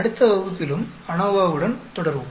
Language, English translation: Tamil, We will continue with the ANOVA in the next class also